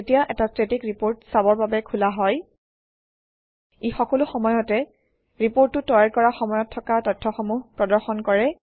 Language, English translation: Assamese, Whenever a Static report is opened for viewing, it will always display the same data which was there at the time the report was created